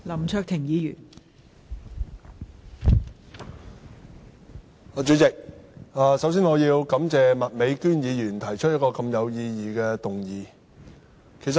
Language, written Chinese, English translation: Cantonese, 代理主席，首先，我要感謝麥美娟議員提出一項如此有意義的議案。, Deputy President first of all I have to thank Ms Alice MAK for proposing such a meaningful motion